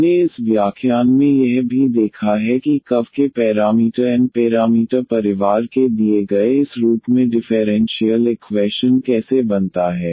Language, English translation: Hindi, We have also seen in this lecture that how to this form differential equation out of the given of parameter n parameter family of curves